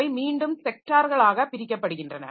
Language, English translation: Tamil, And these tracks are again divided into sectors